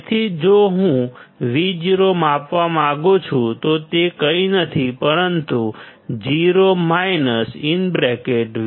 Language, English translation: Gujarati, So, if I want to measure Vo; it is nothing, but 0 minus V1 by R1 into R2